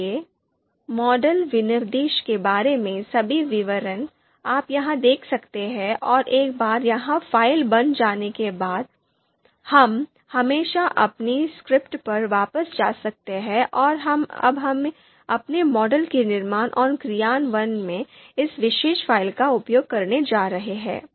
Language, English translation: Hindi, So, all the details about the model specification, you can see here and once this file is created, we can always go back to our script and now we are going to use this particular file in building and executing our model